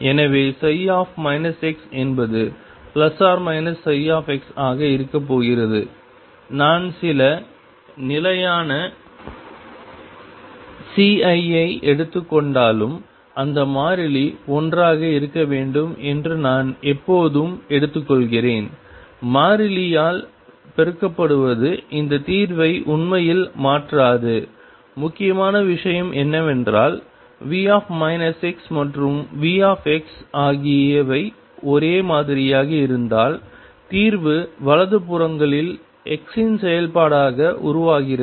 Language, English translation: Tamil, So, psi minus x is going to be plus or minus psi x, I choose that constant to be one even if I take to some constant c I can always take it that to be one multiplied by constant does not really change this solution, important thing is that if V minus x and V x other same then the way solution evolves as the function of x on the right hand sides